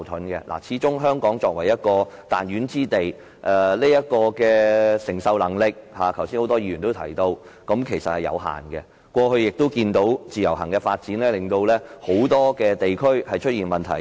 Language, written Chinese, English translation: Cantonese, 剛才多位議員也提到作為彈丸之地，香港的承受能力始終有限，而以往我們也看到自由行的發展令很多地區出現問題。, Earlier in the debate many Members have mentioned that as a tiny place the capacity of Hong Kong is limited after all . We have already seen the development of the Individual Visit Scheme IVS causing problems to numerous districts